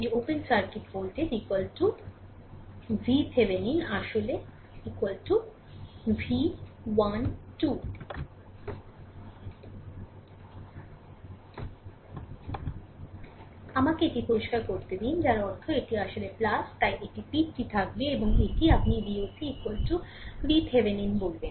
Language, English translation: Bengali, So, let me clear it so that means, this is actually plus so, this is arrow will be there and this is what you call V oc is equal to V Thevenin